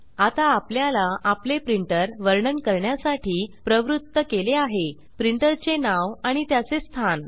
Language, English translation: Marathi, Now, we are prompted to describe our printer printer name and its location